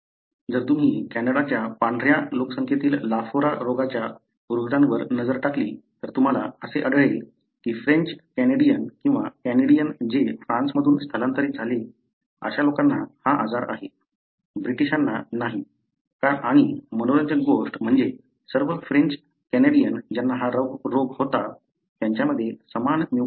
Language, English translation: Marathi, So, if you look into the lafora disease patients in the white population of Canada, you would often find that the French Canadian or the Canadians who migrated from France, they have the disease, not the British and what is interesting is that all the French Canadians who develop this disease, have the same mutation